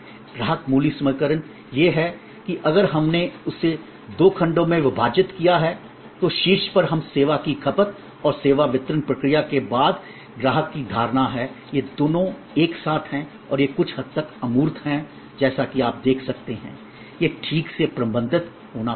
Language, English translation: Hindi, The customer value equation is that if we divided it in two blocks that on the top we have customer perception after service consumption and the service delivery process, these two together and these are somewhat intangible as you can see therefore, these they will have to be properly managed